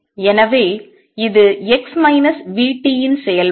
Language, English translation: Tamil, So, this is a function of x minus v t